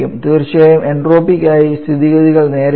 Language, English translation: Malayalam, The situation is not that straight forward for entropy of course